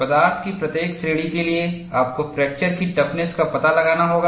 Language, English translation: Hindi, For each category of material, you have to find out the fracture toughness